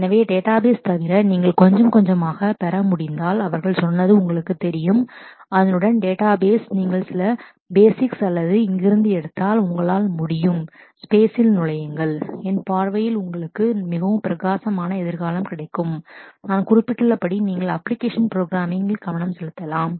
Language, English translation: Tamil, So, if you can acquire a little bit of besides database you know he said that the basics of the database along with that if you pick up few basics or from here, you will be able to enter into the space and that will give you a very very bright future in my view otherwise you can focus on the application programming stat as I have mentioned